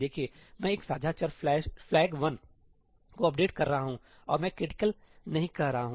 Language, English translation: Hindi, Look, I am updating a shared variable Flag1 and I am not saying ëcriticalí